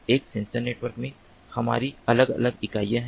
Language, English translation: Hindi, so in a sensor network we have sensor nodes